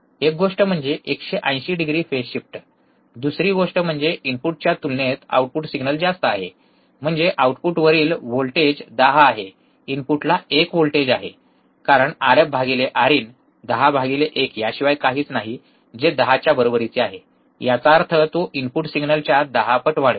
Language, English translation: Marathi, 180 degree phase shift, one thing, second thing was that the output signal is higher compared to the input, that is the voltage at output is 10, voltage at input is 1, because R f by R in R f by R in is nothing but 10 by 1 which is equals to 10; that means, it will amplify by 10 times the input signal